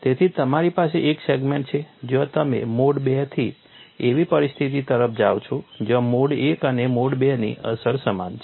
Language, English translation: Gujarati, So, you have one segment where you go from mode two to the situation where the effect of mode one and mode two are equivalent